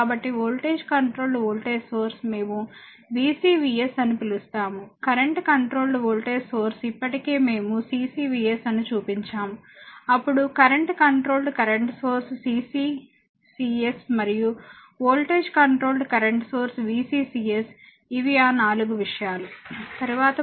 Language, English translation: Telugu, So, voltage controlled voltage source we call VCVS, current controlled voltage source already we have shown CCVS, then current controlled current source CCCS and voltage controlled current sources VCCS right these are the 4 thing, next you take another example